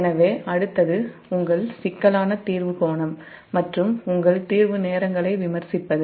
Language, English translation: Tamil, so next is that your critical clearing angle and critical your clearing times